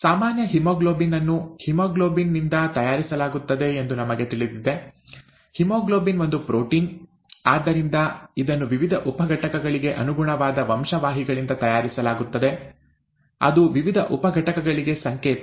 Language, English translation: Kannada, We know that normal haemoglobin is made from the haemoglobin, haemoglobin is a protein, therefore it is made from the genes that correspond to the various sub units, that code for the various sub units